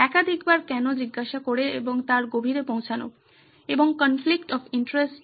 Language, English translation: Bengali, Asking why multiple times to get to the bottom of it and a conflict of interest